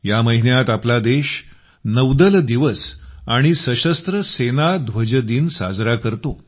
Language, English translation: Marathi, This month itself, the country also celebrates Navy Day and Armed Forces Flag Day